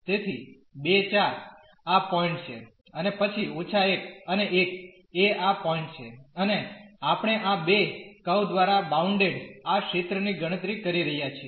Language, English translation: Gujarati, So, 2 comma 4 is this point and then minus 1 and 1 is this point here and we are computing this area bounded by these two curves